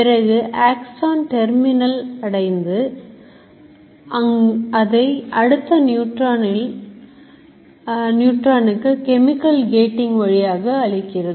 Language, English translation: Tamil, And it moves till it comes to again the axon terminal to pass it to the next neuron through chemical gating